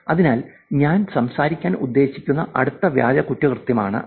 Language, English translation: Malayalam, So, that is the next fake crime that I thought we will talk about